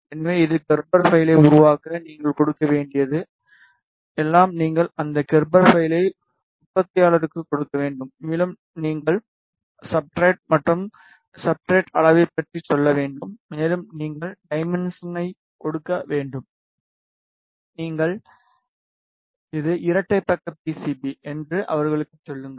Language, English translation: Tamil, So, it will create the Gerber file all you need to give is you need to just give that Gerber file to the manufacturer, and you need to tell about the substrate and the substrate size and you need to give the dimension and you need to tell them that it is a double sided PCB